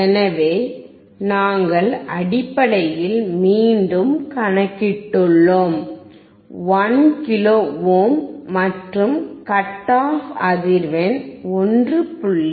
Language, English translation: Tamil, So, we have recalculated based on 1 kilo ohm, and what we found is the cut off frequency, 1